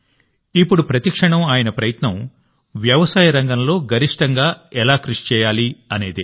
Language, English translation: Telugu, Now every moment, he strives to ensure how to contribute maximum in the agriculture sector